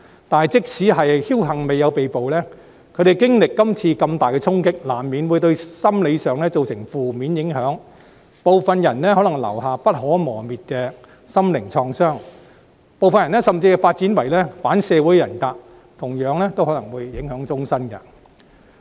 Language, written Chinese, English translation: Cantonese, 但是，即使僥幸未有被捕，他們在經歷今次如此大的衝擊後，難免會對心理造成負面影響，部分人可能留下不可磨滅的心靈創傷，有些甚至會發展為反社會人格，同樣都可能影響終身。, Even if some of them were fortunate enough not to be arrested they would inevitably be affected by adverse psychological effects after such traumatic experience and they would possibly be made to suffer for life too as some of them might suffer psychic trauma that could never be healed while some might develop an anti - social personality